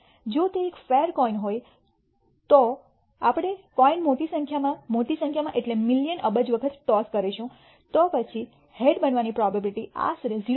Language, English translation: Gujarati, If it is a fair coin then if we toss the coin a large number of times large meaning million billion times, then the probability of head occurring would be approximately equal to 0